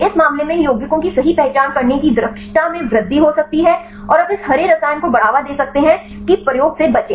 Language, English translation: Hindi, In this case can increases efficiency right of identifying these compounds right and also you can promote this green chemistry right avoid the experiment